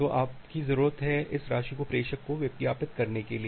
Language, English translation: Hindi, So, you need to advertise this amount to the sender